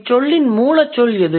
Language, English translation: Tamil, What is the root word here